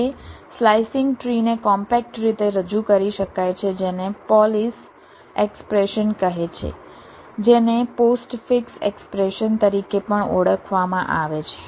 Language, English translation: Gujarati, now a slicing tree can be represented in a compact way by a, some something call a polish expression, also known as a postfix expression